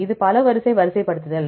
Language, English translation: Tamil, This is a multiple sequence alignment